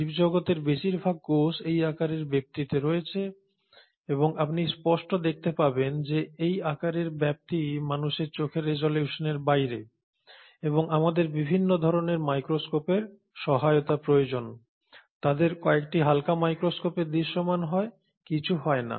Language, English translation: Bengali, Most of the cells across the living world are in this size range and as you can obviously see this size range is way below the resolution of human eye and we need the aid of different kinds of microscopes, some of them are visible through light microscopes some of them arenÕt